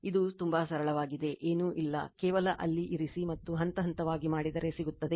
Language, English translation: Kannada, This is very simple nothing is there, just you just you put in there and step by step you will do you will get it right